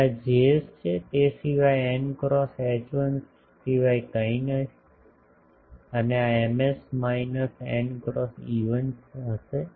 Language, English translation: Gujarati, Now this Js is will be nothing but n cross H1 and this Ms will be minus n cross E1